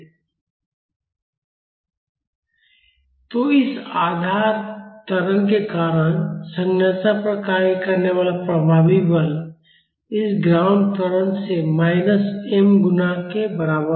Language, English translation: Hindi, So, the effective force acting on the structure because of this base acceleration would be equal to minus m multiplied by this ground acceleration